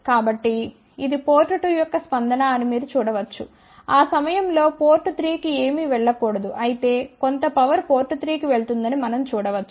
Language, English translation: Telugu, So, you can see that this is the response of port 2 at that particular point relatively nothing should go to port 3